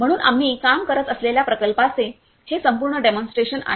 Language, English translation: Marathi, So, this is the complete demonstration of the project we are working